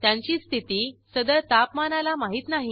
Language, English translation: Marathi, Their state is unknown at that Temperature